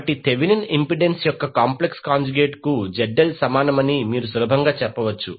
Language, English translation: Telugu, So, you can easily say that ZL is equal to complex conjugate of the Thevenin impedance